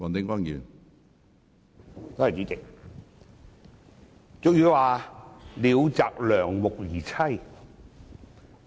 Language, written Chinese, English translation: Cantonese, 主席，俗語有云："鳥擇良木而棲"。, Chairman as the adage goes birds choose good trees to perch on